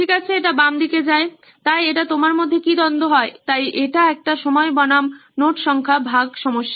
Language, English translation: Bengali, Okay, so that goes on the left hand side, so that’s what you are conflict is between, so it is a time versus the number of notes shared problem